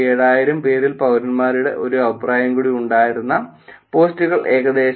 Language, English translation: Malayalam, The posts which had one more comment from the citizens among the 47,000 is about 24,000